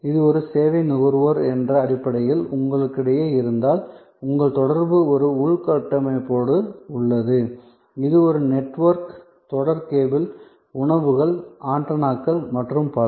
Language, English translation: Tamil, If this is basically between you as a service consumer at the, your interaction is with an infrastructure, it is a network, series of cables, dishes, antennas and so on